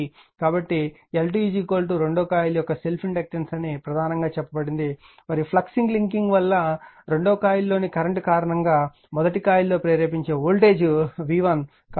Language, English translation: Telugu, So, L 2 is the self inductance of the coil 2 mainly said right and v 1 that is the induce voltage due to that flux linking you are what you call in coil 1 due to the current in your coil 2